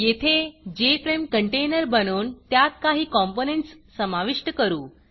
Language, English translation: Marathi, Here, we will create the JFrame container and add a few components to it